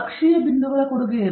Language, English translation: Kannada, What is the contribution from the axial points